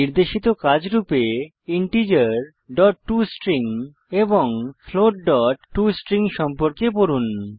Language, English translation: Bengali, As an assignment for this tutorial Read about the Integer.toString and Float.toString